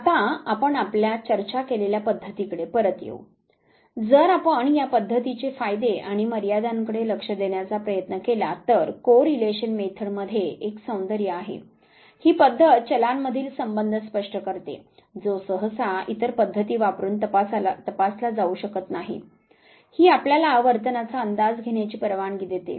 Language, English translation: Marathi, Now, coming back to the methods that we have discussed if we try to look at the advantages and the limitations of these methods correlation method has a beauty it clarifies a relationship between the variables which usually cannot be examined using other methods